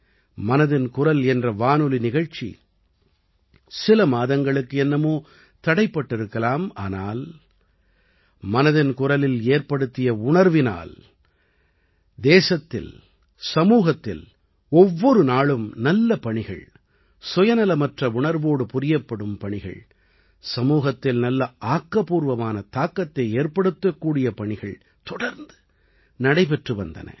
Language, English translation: Tamil, The ‘Mann Ki Baat’ radio program may have been paused for a few months, but the spirit of ‘Mann Ki Baat’ in the country and society, touching upon the good work done every day, work done with selfless spirit, work having a positive impact on the society – carried on relentlessly